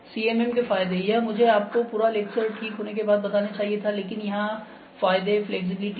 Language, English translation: Hindi, So, advantages of CMM, this I should have told you after completion of the whole lecture ok, but advantages here are the flexibility